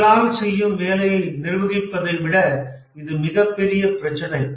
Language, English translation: Tamil, This is a much bigger problem than managing manual work